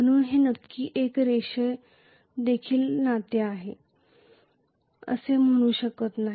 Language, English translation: Marathi, So I cannot say it is exactly a linear relationship